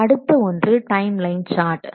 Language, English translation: Tamil, Next one is the timeline chart